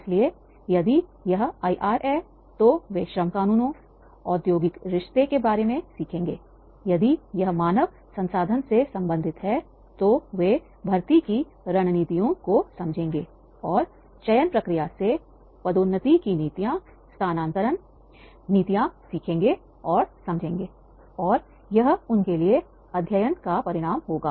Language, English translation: Hindi, So if it is IR, they learn about the labor laws, industrial relations, if it is related to the HR, then they understand the strategies of the recruitment and selection process, maybe the promotion policies, maybe the transfer policies, and that will be the learning outcome from them, that is the how industry work